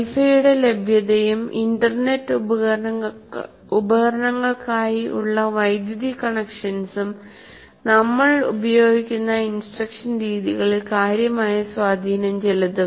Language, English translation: Malayalam, And availability or non availability of Wi Fi and access to power for internet devices will have significant influence on the type of instructional methods used